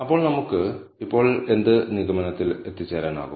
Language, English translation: Malayalam, So, what conclusion can we draw now